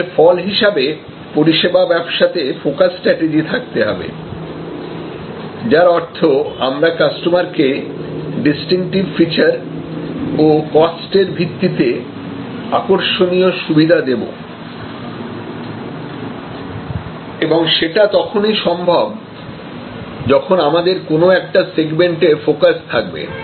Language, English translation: Bengali, And as a result, service business naturally lends itself to a focus strategy, which means, that we offer distinctive features and attractive cost based opportunities to the customer and that is only possible if you are actually having a segment focus